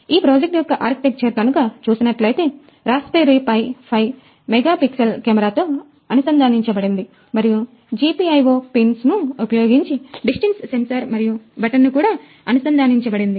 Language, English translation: Telugu, The basic architecture of the; the basic architecture of the project is that there is a Raspberry Pi inside, a camera is connected to it of 5 megapixel camera and using the GPIO pins, we have connected the distance sensor and a button